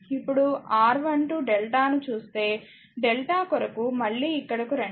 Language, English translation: Telugu, Now if you look R 1 2 delta right come here again